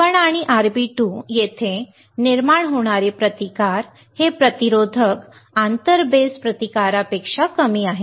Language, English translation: Marathi, The resistance which is caused here RB1 and RB2 this resistors are lower than the inter base resistance